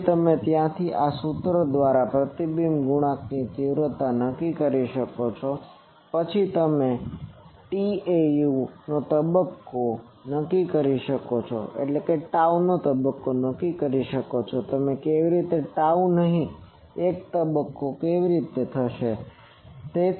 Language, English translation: Gujarati, Then from there you determine the magnitude of the reflection coefficient by this formula, then you determine the phase of tau how you will do a phase of not a tau, how